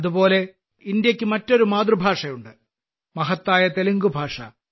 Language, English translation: Malayalam, Similarly, India has another mother tongue, the glorious Telugu language